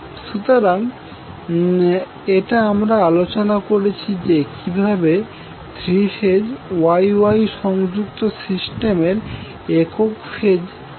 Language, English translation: Bengali, So this will be single phase equivalent of the three phase Y Y connected system which we discussed